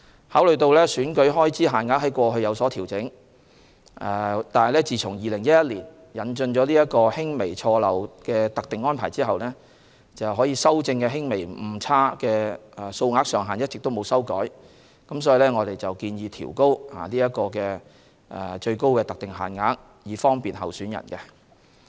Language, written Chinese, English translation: Cantonese, 考慮到選舉開支在過去有所調整，惟自2011年引進輕微錯漏特定安排後，可修正的輕微誤差的數額上限一直未有修改，因此我們建議調高各選舉的最高特定限額，以方便候選人。, Given that the limits prescribed for rectifying minor errors have not been revised since the de minimis arrangement was introduced in 2011 despite upward adjustments of the election expense limits in the interim we propose to raise the limits for various elections to provide convenience for candidates